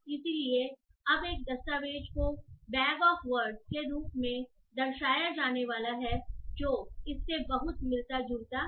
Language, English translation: Hindi, So a document is now going to be represented in terms of the bag of words representation which is very similar to this one